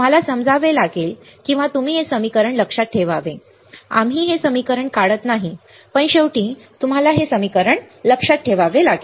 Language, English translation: Marathi, You have to understand or you to remember this equation, we are not deriving this equation, but at last you have to remember this equation ok